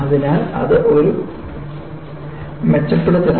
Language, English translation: Malayalam, So, that is an improvement